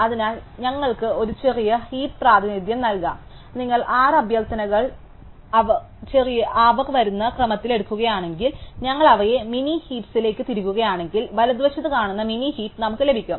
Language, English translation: Malayalam, So, we could give a min heap representation and if you take the 6 request in the order that they come we insert them into the min heap, then we will get the min heap that we see on the right hand side